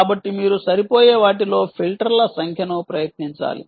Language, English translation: Telugu, so you must try number of filters